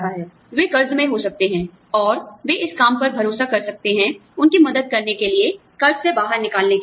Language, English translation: Hindi, You know, they could be in debt, and they could be counting on this job, to help them, get out of debt